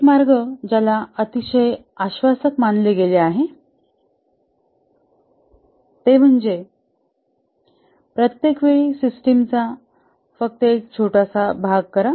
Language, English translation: Marathi, One way that has been considered very promising is that each time do only small part of the system